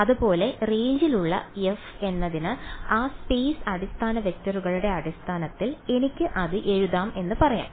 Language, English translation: Malayalam, Similarly I can say that for f which is in the range I can write it in terms of the basis vectors for that space right